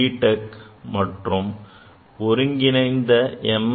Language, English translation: Tamil, Tech including the integrated M